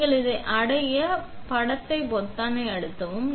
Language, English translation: Tamil, So, you press the grab image button over here